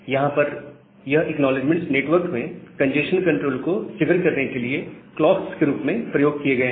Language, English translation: Hindi, So, here these acknowledgements are used as a clocks to trigger the congestion control in the network